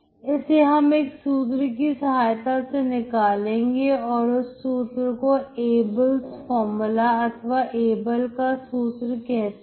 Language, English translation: Hindi, So this is done by deriving a formula called Abel’s formula